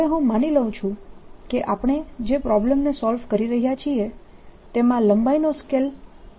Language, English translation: Gujarati, now let me assumed that the length scale in the problem that we are solving in this is l